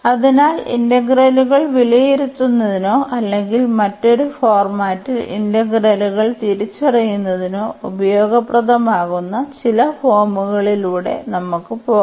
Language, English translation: Malayalam, So, let us just go through some forms that could be useful to evaluate the integrals or to recognize integrals in a different format